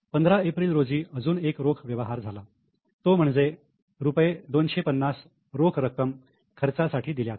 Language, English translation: Marathi, On 15th April, again there is a cash transaction, paid cash for rupees 250 for expenses